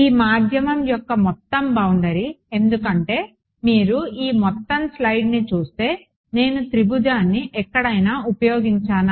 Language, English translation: Telugu, Overall boundary of this medium because if you look at this entire slide have I made any use of the triangle anywhere